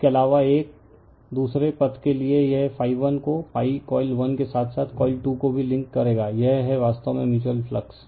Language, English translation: Hindi, In addition to that, phi 1 to another path right, it will all it will phi 1 to also link phi coil 1 as well as your coil 2, this is actually mutual flux